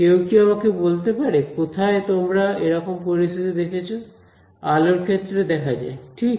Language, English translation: Bengali, So, can anyone tell me where you have seen such a situation arise; it is very common light right